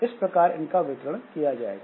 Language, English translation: Hindi, So that way that distribution has to be done